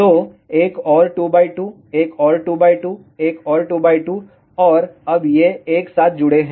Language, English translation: Hindi, So, another 2 by 2, another 2 by 2, another 2 by 2 and now these are connected together